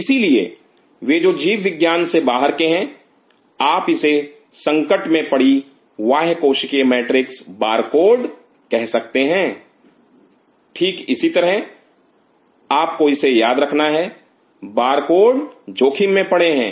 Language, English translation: Hindi, So, for those who are from outside biology you can call it as the compromised ECM barcode this is how you should remember it the barcode has been compromised